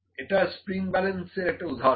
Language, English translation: Bengali, So, this is a an example of spring balance